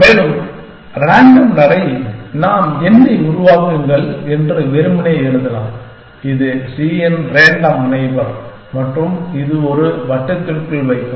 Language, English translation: Tamil, And random walk, we can simply write as saying generate n is a random neighbor of c and put this in a loop